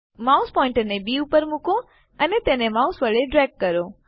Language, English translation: Gujarati, I will choose B Place the mouse pointer on B and drag it with the mouse